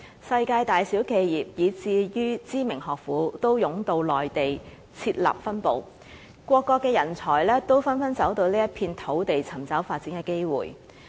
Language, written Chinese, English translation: Cantonese, 世界大小企業，以至知名學府，均湧到內地設立分部，各國的人才也紛紛走到這一片土地尋找發展的機會。, Enterprises of all sizes and renowned educational institutions from all round the world are flocking into the Mainland market to set up their branches there . There is also an influx of talents worldwide into this piece of land to explore development opportunities